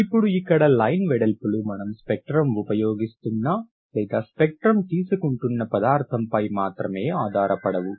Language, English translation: Telugu, The line bits are not only dependent on the substance that you are using the spectrum or taking the spectrum